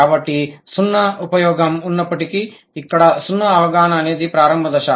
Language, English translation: Telugu, So, the zero use, zero understanding is the initial stage